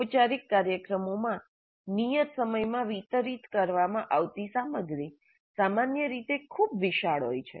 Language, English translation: Gujarati, In formal programs, the content to be delivered in a fixed time is generally quite vast